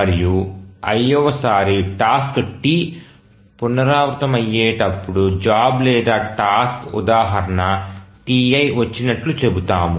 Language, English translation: Telugu, And when the iath time the task t recurs, we say that the job or task instance t, said to have arrived